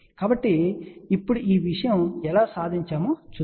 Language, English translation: Telugu, So, now, let us see how this thing has been achieved